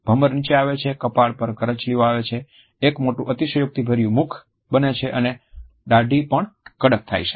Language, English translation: Gujarati, The eyebrows are lowered, the forehead is also creased, there is a wide exaggerated mouth and the chain is also tight